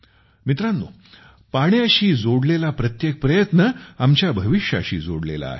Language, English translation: Marathi, Friends, every effort related to water is related to our tomorrow